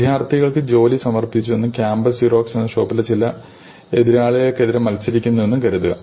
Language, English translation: Malayalam, So, suppose these students have submitted their jobs and this shop campus Xerox is competing against some rivals